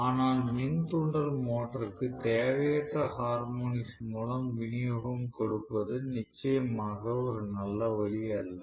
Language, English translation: Tamil, But it definitely not a good option to feed the induction motor with unnecessary harmonics that is not a good option at all